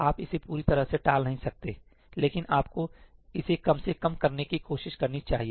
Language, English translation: Hindi, You cannot completely avoid it, but you should try to minimize it as much as possible